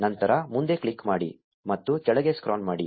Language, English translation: Kannada, Then click next and scroll down